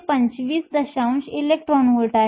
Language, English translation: Marathi, 625 electron volts